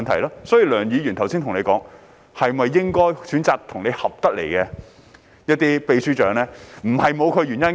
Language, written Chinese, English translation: Cantonese, 因此，梁議員剛才建議局長選擇與其合拍的常任秘書長，並非沒有原因。, Therefore Mr LEUNGs earlier proposal that the Secretary should be allowed to select a Permanent Secretary who could work with him is not groundless